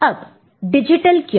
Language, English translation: Hindi, Regarding why digital